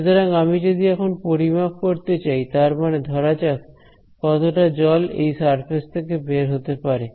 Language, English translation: Bengali, So, if I wanted to measure; let us say the water outflow from this surface